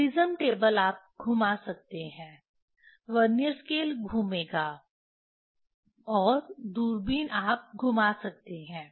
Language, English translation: Hindi, Prism table you can rotate, Vernier scale will rotate, and the telescope you can rotate